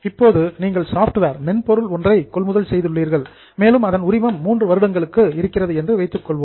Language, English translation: Tamil, So, suppose you have got software, you have purchased software and the license is for three years